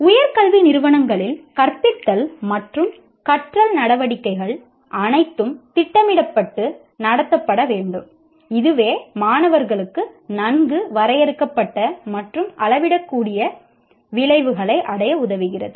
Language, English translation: Tamil, And further, all teaching and learning activities in higher education institutions should be planned and conducted to facilitate students to attain well defined and measurable outcomes